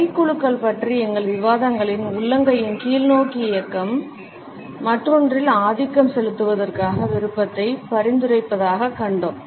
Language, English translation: Tamil, In our discussions of handshake we have seen that a thrust downward movement of the palm, suggest the desire to dominate the other